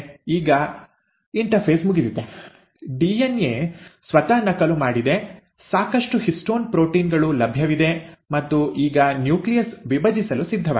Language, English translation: Kannada, Now the interphase is over, the DNA has duplicated itself, there are sufficient histone proteins available and now the nucleus is ready to divide